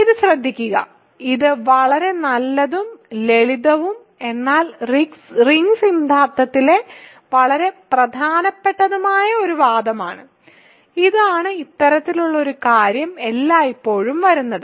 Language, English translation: Malayalam, So, please pay close attention to this, this is a very nice, simple, but an extremely important argument in ring theory and this is this sort of thing comes up all the time